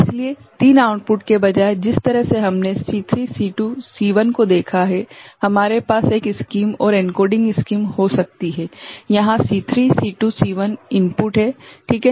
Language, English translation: Hindi, So, instead of 3 outputs the way we have seen C3 C2 C1, we can have a scheme and encoding scheme, where C3 C2 C1 are the input ok